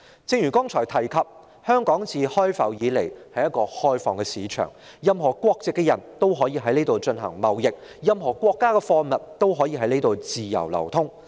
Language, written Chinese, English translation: Cantonese, 正如剛才提及，香港自開埠以來一直是一個開放市場，任何國籍的人也可以在這裏進行貿易，任何國家的貨物也可以在這裏自由流通。, As mentioned earlier Hong Kong has been an open market since its inception where trading may be carried out by people of all nationalities and free movement of goods from all countries is allowed